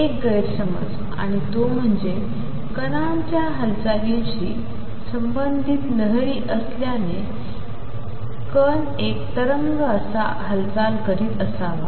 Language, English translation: Marathi, Misconception one, and that is that since there are waves associated with particles motion the particle must be moving as has a wave itself